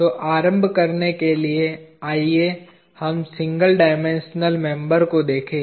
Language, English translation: Hindi, So, to start with, let us look at a single dimensional member